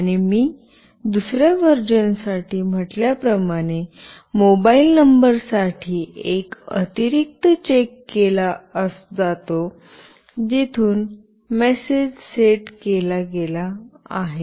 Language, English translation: Marathi, And as I said for the second version, an additional check is made for the mobile number from where the message has been set